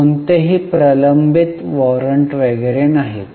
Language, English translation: Marathi, There are no pending warrants etc